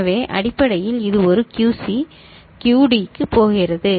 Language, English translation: Tamil, So, basically it is a QC is going to QD